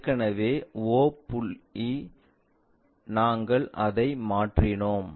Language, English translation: Tamil, Already o point, we transferred it